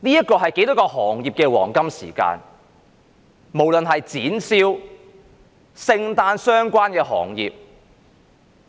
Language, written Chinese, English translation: Cantonese, 這是多少行業的黃金時間，例如展銷、與聖誕相關的行業等。, This is a golden time for so many trades and industries such as exhibition and Christmas - related industries